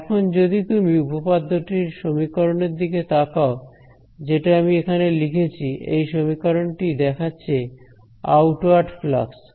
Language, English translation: Bengali, So, if you look at the expression of the theorem that I have written over here, this expression over here is outward flux ok